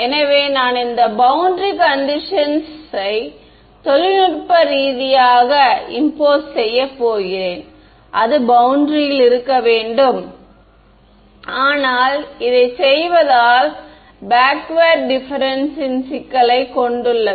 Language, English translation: Tamil, So, I am going to impose this boundary condition technically it should be on the boundary, but doing that has this problem of backward difference